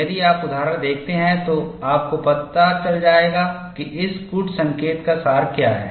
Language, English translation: Hindi, You see the examples; then you will know, what is the essence of this code